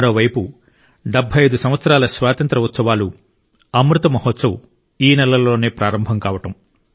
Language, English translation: Telugu, This very month is the one that marks the commencement of 'Amrit Mahotsav' of the 75 years of Independence